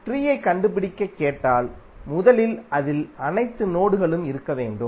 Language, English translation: Tamil, If you ask to find out the tree then first is that it will contain all nodes